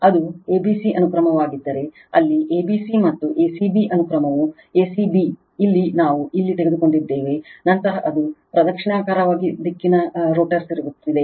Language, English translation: Kannada, If it is a b c sequence, where a b c and a c b sequence is a c b; here it is showing just here we have taken the , then it is anti clockwise direction rotor rotating